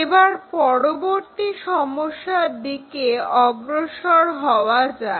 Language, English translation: Bengali, So, let us move on to our next problem